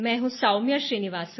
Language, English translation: Hindi, I am Soumya Srinivasan